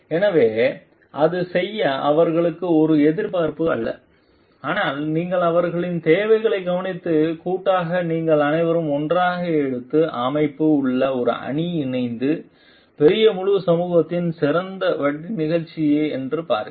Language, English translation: Tamil, So, that it not only it is not an expectation to them to perform, but you also take care of their needs and see like jointly you along with your team along with the organization all taken together are performing to the best interest of the whole society at large